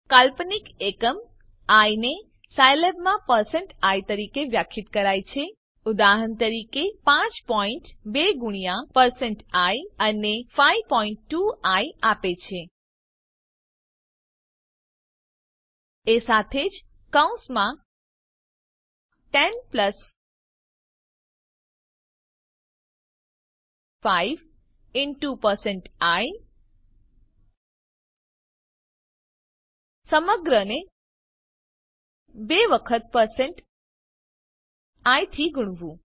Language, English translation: Gujarati, The imaginary unit i is defined in Scilab as percent i: For example,Five point two multiplied percent i gives 5.2i also bracket 10 plus 5 into percent i whole multiply by 2 times percent i gives the result 10